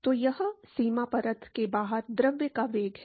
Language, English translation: Hindi, So, that is the velocity of the fluid outside the boundary layer